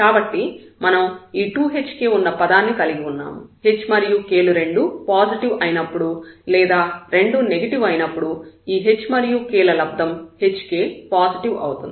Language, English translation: Telugu, So, we have this 2 hk terms, when this product h and k whether if both are positive for example, of both are negative this hk term is positive